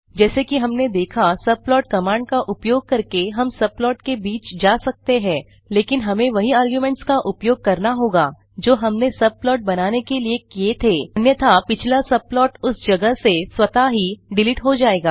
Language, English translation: Hindi, As seen here we can use subplot command to switch between the subplots as well, but we have to use the same arguments as we used to create that subplot, otherwise the previous subplot at that place will be automatically erased